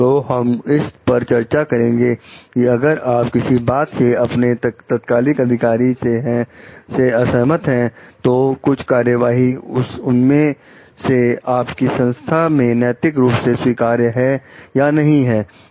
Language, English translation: Hindi, So, we will discuss with this like if you are having a disagreement with your immediate superior, so about some of the actions in your organization is ethically acceptable or not